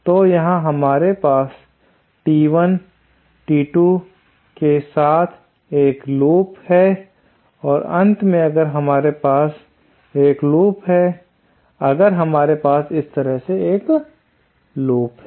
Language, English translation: Hindi, So, here we have a loop with magnitude T1, T2 and finally if we have a loop, if we have a loop like this